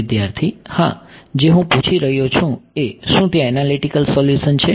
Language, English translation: Gujarati, Yeah, what I am asking is does it have an analytic solution